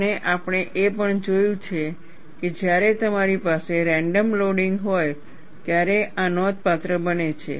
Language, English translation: Gujarati, And we have also seen, this becomes significant, when you have random loading